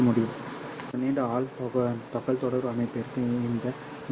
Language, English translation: Tamil, So for a long haul communication system, this 100 kilometer is the span length